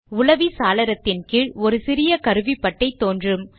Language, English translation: Tamil, A small toolbar appears at the bottom of the browser window